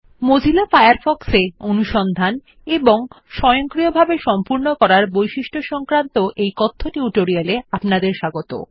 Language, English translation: Bengali, Welcome to the Spoken tutorial on the Mozilla Firefox Search and Auto complete features